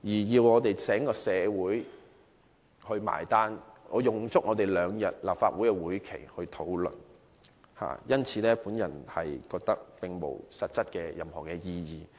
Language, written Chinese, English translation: Cantonese, 要整個社會"埋單"，用立法會兩天時間進行討論，我認為並無任何實質意義。, Now the whole community has to foot the bill and the Legislative Council has to spend two days discussing it . This is practically meaningless as far as I am concerned